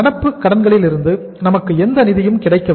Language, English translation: Tamil, We have not got any funds from the current liabilities